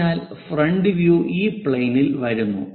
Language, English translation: Malayalam, So, the front view comes at this level